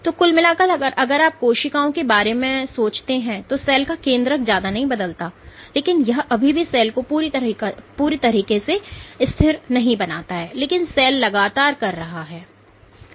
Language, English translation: Hindi, So, overall if you look think of the cells, the centroid of the cell does not change much, but that still does not make the cell completely static, but the cell is continuously doing